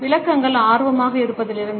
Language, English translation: Tamil, The explanations range from being interested